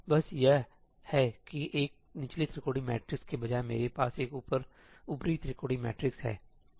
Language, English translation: Hindi, Just that instead of a lower triangular matrix, I have an upper triangular matrix